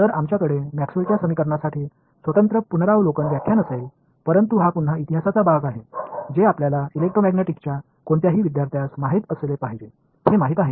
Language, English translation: Marathi, So, we will have a separate review lecture for the equations of Maxwell, but this is again part of history, so which you know as any student of electromagnetics should know